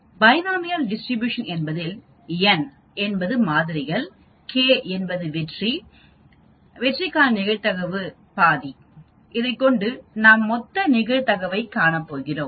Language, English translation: Tamil, In binomial distribution you have n samples and you have k successes and probability of each of the success is half, so you are expected to find out the total probability